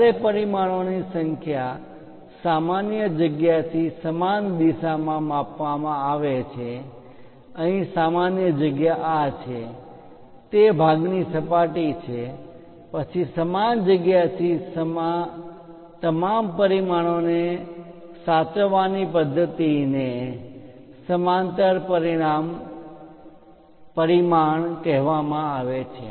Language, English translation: Gujarati, When numbers of dimensions are measured in the same direction from a common feature; here the common feature is this, that is surface of the part then method of indicating all the dimensions from the same feature is called parallel dimensioning